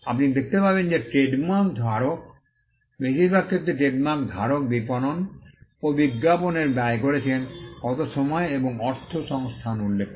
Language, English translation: Bengali, You will find that the trademark holder will, in most cases mention the amount of time money and resources, the trademark holder has spent in marketing and advertising